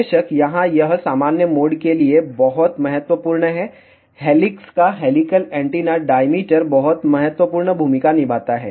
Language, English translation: Hindi, Of course, here it is very very important for normal mode helical antenna diameter of the helix plays very very important role